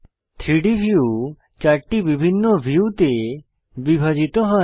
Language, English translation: Bengali, The 3D view is divided into 4 different views